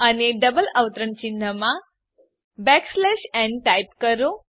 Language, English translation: Gujarati, And within the double quotes type \n